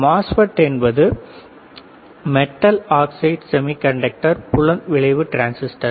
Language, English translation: Tamil, MOSFET's are Metal Oxide Semiconductor Field Effect Transistors